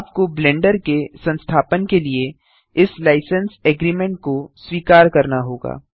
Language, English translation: Hindi, You must accept this License Agreement to install Blender